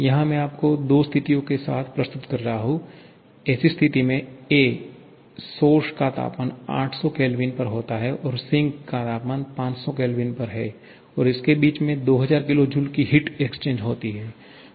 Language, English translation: Hindi, Here, I am presenting you with two situations; in situation ‘a’ you have a source at temperature 800 Kelvin and sink at temperature 500 Kelvin and exchanging 2000 kilo joule of heat